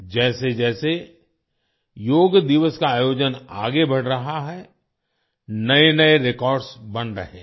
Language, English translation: Hindi, As the observance of Yoga Day is progressing, even new records are being made